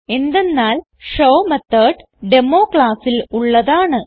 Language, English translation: Malayalam, This is because the show method belongs to the class Demo